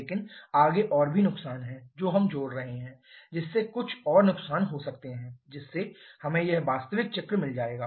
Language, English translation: Hindi, But there are further more losses which we shall be adding which leads to there are some more losses giving us this actual cycle